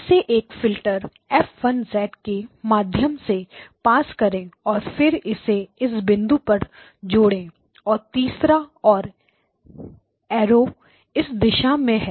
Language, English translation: Hindi, Pass it through a filter F1 of Z and then add it to this point and the third and the arrows are going in this direction